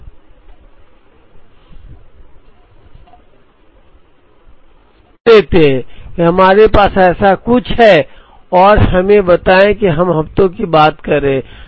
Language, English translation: Hindi, So, let us assume that, we have something like this and let us say we are talking of weeks